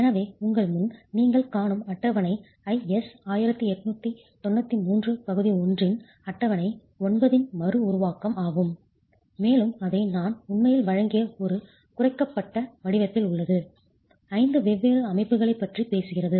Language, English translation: Tamil, So, the table that you see in front of you is a reproduction of table 9 of IS 1893 Part 1, and it is in a reduced form that I have actually presented it, talking of five different systems